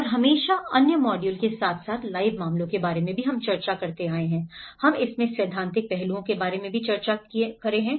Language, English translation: Hindi, And always discussed in other modules as well along with the live cases, we are also discussing about the theoretical aspects into it